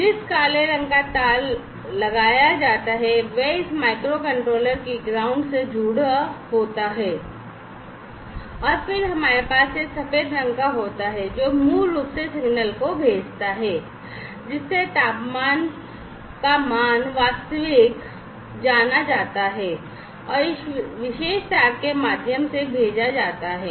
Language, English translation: Hindi, So, the black color wired is put on the is connected to the ground of this microcontroller, right and then we have this white colored one which basically sends the signal the temperature value the actual temperature value is sensed and is sent through this particular wire, right